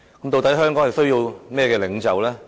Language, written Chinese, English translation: Cantonese, 究竟香港需要怎樣的領袖呢？, What kind of leader does Hong Kong need?